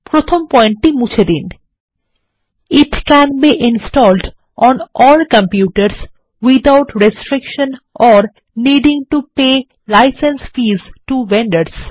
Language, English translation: Bengali, Delete the first point It can be installed on all computers without restriction or needing to pay license fees to vendors